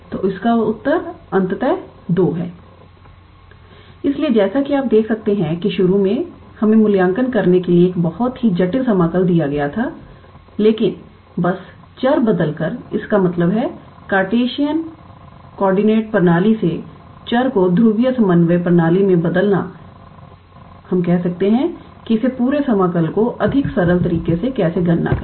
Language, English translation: Hindi, So, here as you can see that initially we were given a very complicated integral to evaluate, but just by changing the variables; that means, changing the variables from Cartesian coordinate system to polar coordinate system, we can how to say calculate this whole integral in a lot more simpler manner